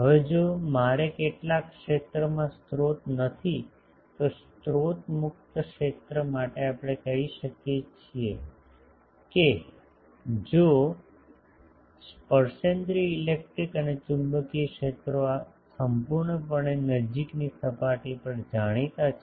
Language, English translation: Gujarati, Now if I do not have a source at some region, so for a source free region we can say that if the tangential electric and magnetic fields are completely known over a close surface